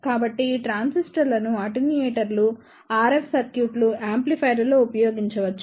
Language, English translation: Telugu, So, these transistors can be used in attenuators, RF circuits, amplifiers